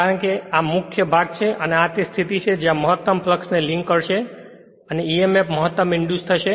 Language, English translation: Gujarati, Because this is the main portion and this is the position right this is the position that where the maximum that these will link the maximum flux and emf will be induced maximum right